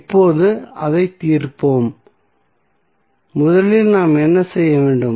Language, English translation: Tamil, Now, let us solve it, what we have to do first